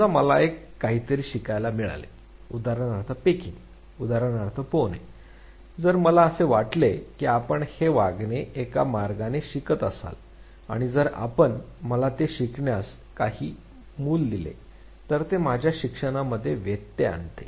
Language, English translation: Marathi, If I am suppose to learn something, for instance pecking, for instance swimming; if I am suppose to learn this very behavior in one way and if you give me some other root to learnt it, it interferes with my learning